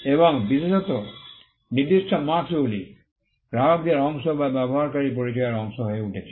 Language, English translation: Bengali, And now especially for certain marks becoming a part of the customers or the user’s identity itself